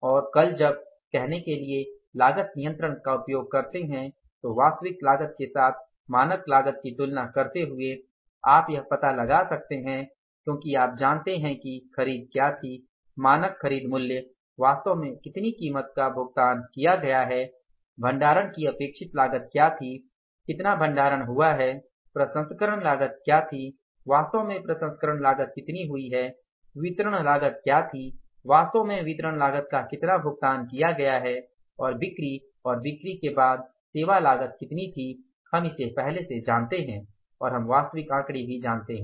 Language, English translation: Hindi, And tomorrow when you go for the say exercising the cost control comparing the standard cost with the actual cost you can find out because you know what was the purchase standard purchase price of the material how much price actually has been paid what was the storage expected cost how much storage cost has incurred what was the processing cost how much actually processing cost has incurred what was the distribution cost has been paid and how much was the sales and after sales service we know it in advance we know the know the actual figures also, you know, exactly you know that at what level the cost has gone up